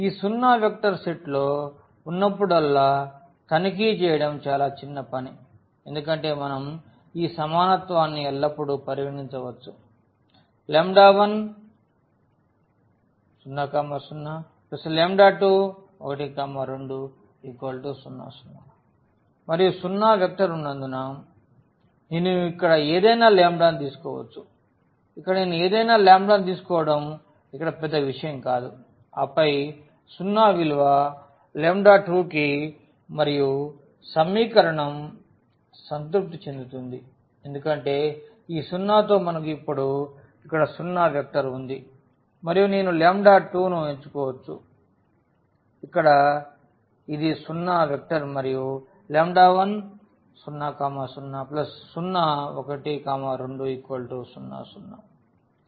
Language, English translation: Telugu, And this is a trivial task to check whenever we have this zero vector is there in the set because we can always consider this equality lambda 1 0, 0; lambda 2 1, 2 is equal to 0, 0 and since the zero vector is there so, I can take any lambda here it does not where matter I can take any lambda with this and then the 0 value to lambda 2 and the equation will be satisfied because with this 0 we have now the zero vector here and I can choose any lambda still this will be a zero vector and 0 plus zero vector will give us zero vector